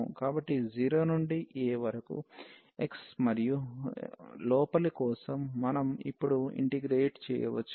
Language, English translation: Telugu, So, x from 0 to a and for the inner one we can integrate now